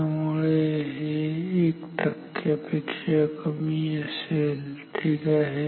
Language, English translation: Marathi, So, this is less than 1 percent ok